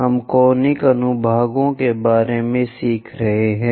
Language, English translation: Hindi, We are learning about Conic Sections